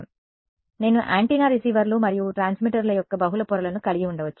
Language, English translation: Telugu, So, I could have multiple layers of antennas receivers and transmitters